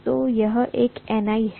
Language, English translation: Hindi, So this is one Ni, this is one more Ni, right